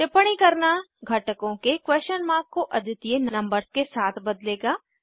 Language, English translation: Hindi, Annotating will replace the question marks on the components with unique numbers